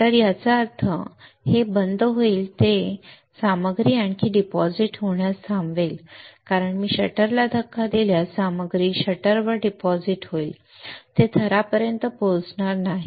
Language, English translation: Marathi, Shutter; that means, it will shut down it will stop the material to further deposit, because if I push the shutter the material will get deposited on the shutter it will not reach the it will not reach the substrate